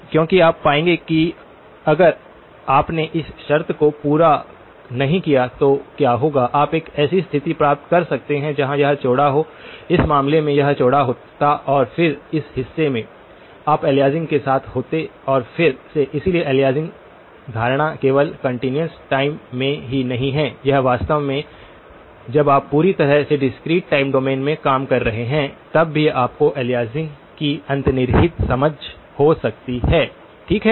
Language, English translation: Hindi, Because you will find that if you did not satisfy this condition, what will happen is you could have gotten a situation where this was wider, this would have been wider in this case and then in this portion, you would have ended up with aliasing and again, so the aliasing notion is not only in the continuous time, it is actually when you are completely working in the discrete time domain also you can still have underlying understanding of aliasing, okay